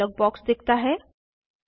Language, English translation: Hindi, A Save dialog box appears